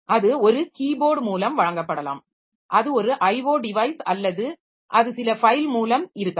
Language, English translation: Tamil, So that may be given via keyboard, that is an I O device, or it may be by means of some file